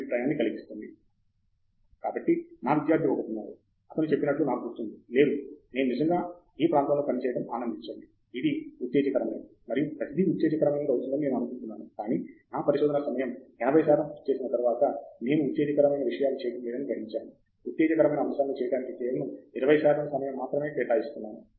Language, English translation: Telugu, So, there is one student of mine I remember he said, no I really enjoy working in this area, I thought it will be exciting and everything, but after doing research I realized that about 80 percent of my time I am not doing the exciting stuff, doing the exciting stuff only 20 percent of the time